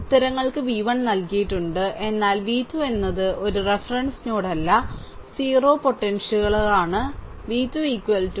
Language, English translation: Malayalam, Answers are given, v 1 but note that v 2 is not a reference node that 0 potential nothing v 2 is equal to minus 72